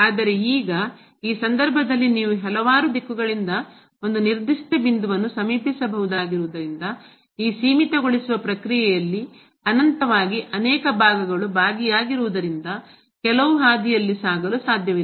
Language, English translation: Kannada, But now, in this case since you can approach to a particular point from the several direction, it is not possible to get as the along some path because there are infinitely many parts involved in this limiting process